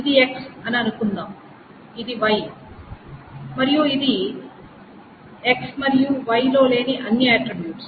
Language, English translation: Telugu, So suppose this is X, this is Y, and this is all the attributes that are not in x and y